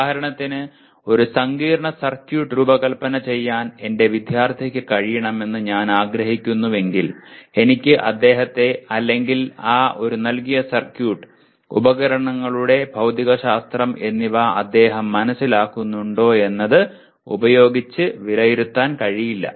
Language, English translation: Malayalam, For example if I want my student should be able to design let us say a complex circuit, I cannot merely ask him, assess him only in terms of does he understand the physics of the devices that are used or given a circuit what does it function